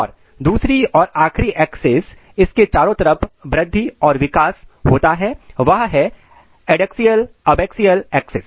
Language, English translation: Hindi, And another and final axis across which growth and development occurs is adaxial abaxial axis